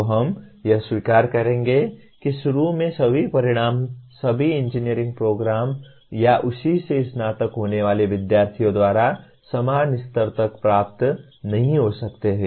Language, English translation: Hindi, So we will accept that, initially every outcome may not be attained to the same level by all engineering programs or by the students who are graduating from that